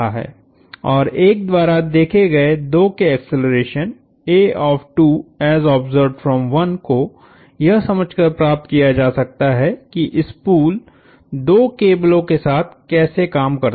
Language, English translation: Hindi, And acceleration of 2 as observed by 1 can be found from understanding how the spool works with the two cables